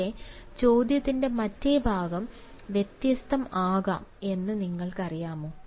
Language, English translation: Malayalam, but do you really know that the other part of the question can be embarrassing